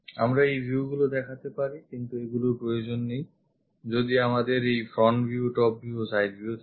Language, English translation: Bengali, We can show these views also, but these are not required when we have this front view, top view and side view